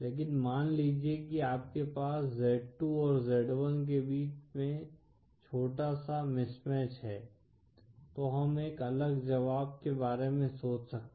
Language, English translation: Hindi, But suppose you have that mismatch between z2 & z1 as small, then we can think of a different solution